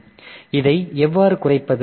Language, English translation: Tamil, So, how to reduce this